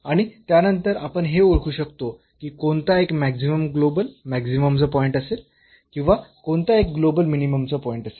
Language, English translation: Marathi, And then, we can identify that which one is the point of maximum the global maximum or which one is the point of a global minimum